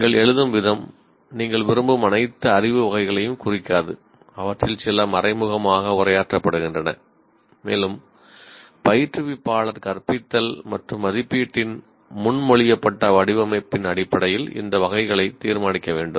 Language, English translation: Tamil, The way you write may not imply all the knowledge categories you are interested and some of them are implicitly addressed and again instructor needs to decide these categories based on proposed design of the instruction and assessment